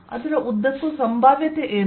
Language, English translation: Kannada, what is the potential throughout